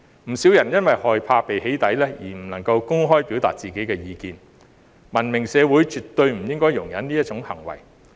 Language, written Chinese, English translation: Cantonese, 不少人因為害怕被"起底"而不能夠公開表達自己的意見，文明社會絕對不應該容忍這種行為。, Quite a few people are unable to express their views openly for fear of being doxxed . A civilized society should absolutely not tolerate such behaviour